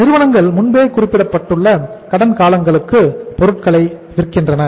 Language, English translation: Tamil, Firms sell for the for the pre specified credit periods